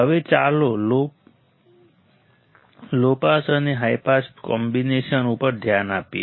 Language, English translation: Gujarati, Now, let us focus on low pass and high pass combination